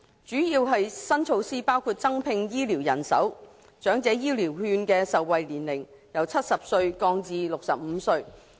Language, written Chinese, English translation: Cantonese, 主要的新措施包括增聘醫護人手，以及將長者醫療券的受惠年齡由70歲降至65歲。, Among the major new measures more health care personnel will be recruited and the eligibility age for the Elderly Health Care Vouchers will be lowered from 70 to 65